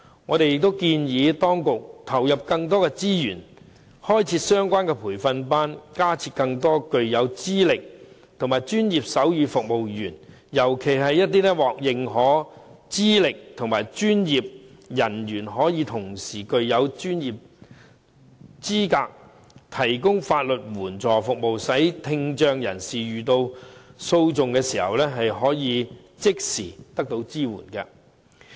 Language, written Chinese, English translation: Cantonese, 我們建議當局投入更多資源，開設相關的培訓班，增加更多具有資歷的專業手語傳譯員，尤其是一些獲認可資歷的專業人員可以同時具有資格提供法律援助服務，使聽障人士遇到訴訟時，可即時獲得支援。, We advise the authorities to put in more resources for offering relevant training classes with a view to increasing the number of qualified professional sign language interpreters especially professionals with recognized qualifications enabling them to provide assistance in lawsuits . In this way people with hearing impairment can seek immediate support in case they get involved in any litigation